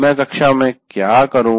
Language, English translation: Hindi, What do I do in the class